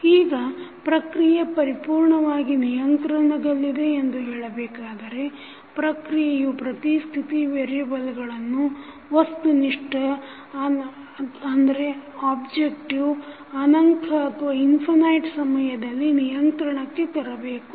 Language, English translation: Kannada, Now, the process is said to be completely controllable if every state variable of the process can be controlled to reach a certain objective infinite times